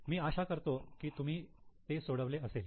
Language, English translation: Marathi, Okay, I hope you have solved it